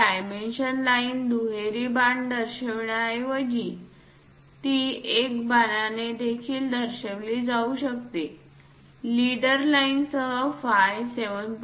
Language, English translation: Marathi, Instead of showing this dimension line double arrows thing one can also show it by a single arrow, a leader line with phi 7